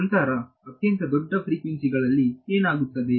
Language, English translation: Kannada, Then what happens at extremely large frequencies